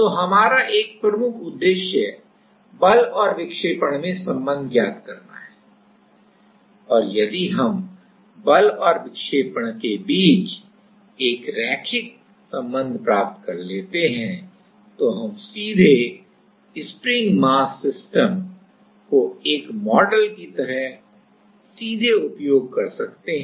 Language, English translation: Hindi, So, one of our major objective is to get the force deflection relation and if we can get a linear relation between the force and the deflection, then we can directly use the spring mass system like a model